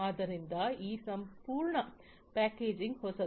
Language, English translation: Kannada, So, this whole packaging is new